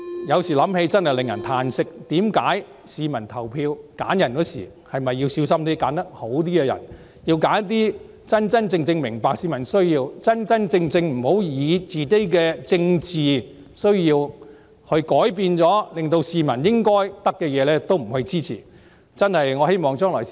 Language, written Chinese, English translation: Cantonese, 有時想想真令我感到歎息，市民投票時是否要小心選擇較好的人選，選擇真正明白市民需要的人，而不要因為政治需要，令市民得不到應得的東西。, Pondering over this question sometimes I really find it lamentable . When members of the public vote would it not be better for them to carefully select candidates who truly appreciate the peoples needs rather than those who would prevent the public from getting what they deserve owing to political needs?